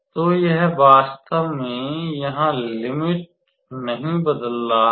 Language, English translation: Hindi, So, it is not really changing the limits here